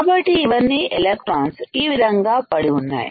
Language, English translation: Telugu, So, these are all electrons lying in this fashion